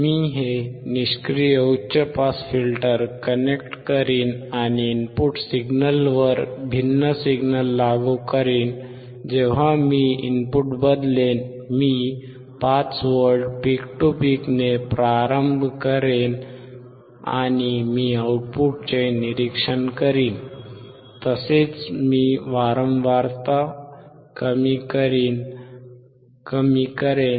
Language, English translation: Marathi, I will connect this passive high pass filter, and apply different signal at the input different signal when I say is I will change the I will start with 5V peak to peak and I will observe the output, and I will decrease the frequency, you see, I will keep on decreasing the frequency